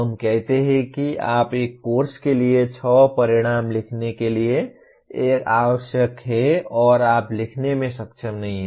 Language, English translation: Hindi, Let us say you are required to write six outcomes for a course and you are not able to write